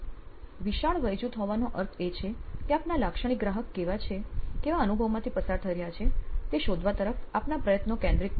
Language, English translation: Gujarati, Having a large age group actually does not focus your efforts on finding out what the experience that your customer your typical customer is going through